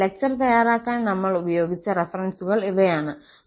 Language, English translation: Malayalam, So, these are the references we have used for preparing the lecture